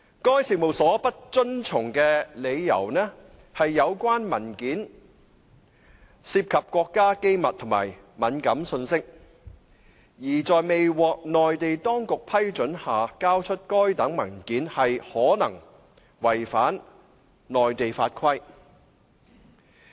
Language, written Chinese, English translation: Cantonese, 該事務所不遵從的理由是有關文件涉及國家機密及敏感信息，而在未獲內地當局批准下交出該等文件可能違反內地法規。, The reason for the firms non - compliance was that the relevant papers involved state secrets and sensitive information and the production of such papers without the Mainland authorities permission might violate Mainland laws and regulations